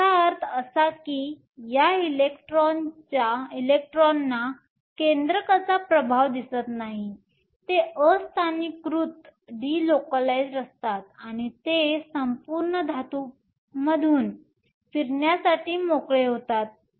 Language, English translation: Marathi, This means that these electrons do not see the influence of the nucleus, they are delocalized and they are free to move through the entire metal